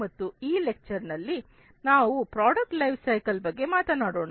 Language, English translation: Kannada, And also in this lecture, we will talk about product lifecycle management